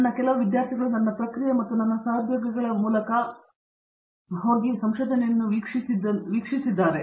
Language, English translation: Kannada, And I have had the chance to watch a few of my own students go through the process as well as my colleagues students